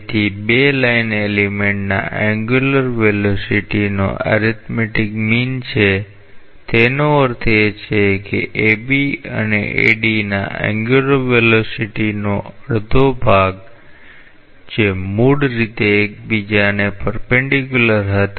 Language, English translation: Gujarati, So, arithmetic mean of the angular velocities of the two line element; that means, half of the angular velocities of AB and AD which were originally perpendicular to each other